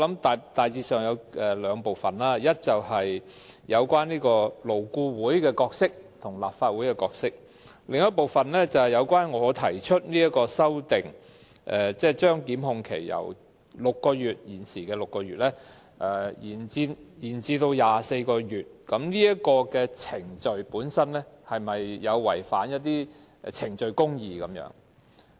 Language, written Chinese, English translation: Cantonese, 第一，有關勞工顧問委員會和立法會的角色；第二，關於我提出的修正案，將檢控限期由現時的6個月延長至24個月的程序有否違反程序公義。, First the roles of the Labour Advisory Board LAB and the Legislative Council; second whether the amendment proposed by me of extending the time limit for prosecution from the present 6 months to 24 months has violated procedural justice